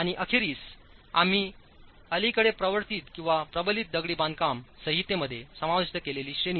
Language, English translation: Marathi, And finally the category that we have recently introduced into the code which is reinforced masonry